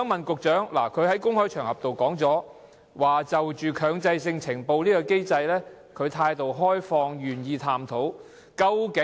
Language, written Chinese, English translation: Cantonese, 局長曾在公開場合說，他對於強制性呈報機制持開放態度，並願意探討。, The Secretary had stated in public that he was open - minded as to the mandatory reporting mechanism and was willing to look into it